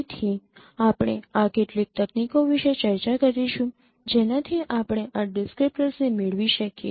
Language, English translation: Gujarati, So, we will be discussing some of these techniques which can derive these descriptors